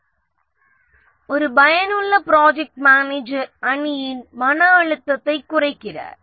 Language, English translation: Tamil, An effective project manager reduces stress on the team